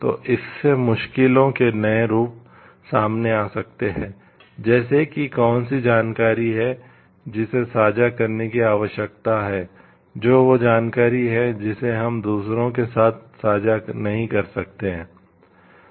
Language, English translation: Hindi, So, this may lead to like new variations of difficulties will be involved, like what is the information which needs to be shared what is that information we are not going to share with others